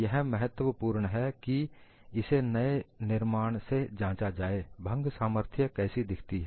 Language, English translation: Hindi, So, it is prudent to check by the new formulation, how does the fracture strength look like